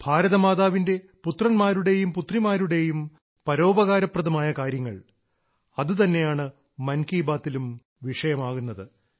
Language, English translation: Malayalam, Talking about the philanthropic efforts of the sons and daughters of Mother India is what 'Mann Ki Baat' is all about